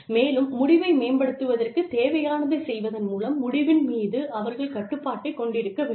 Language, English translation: Tamil, And, they should have control over the outcome, by doing, what is necessary to improve the outcome